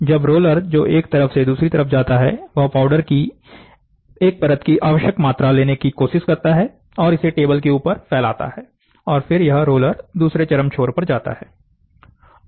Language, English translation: Hindi, So, the roller which rolls from one side to the other side, tries to the, tries to take the required quantity of a single layer of powder and spread it on top of a table, and then this roller goes to the other extreme end